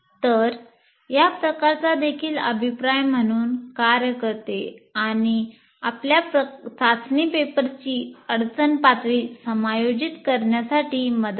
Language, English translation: Marathi, So this kind of thing is also acts as a feedback to adjust the difficulty level of your test paper to the students that you have